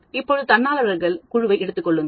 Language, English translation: Tamil, Now we take a group of volunteers